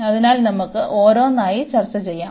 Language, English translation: Malayalam, So, let us discuss one by one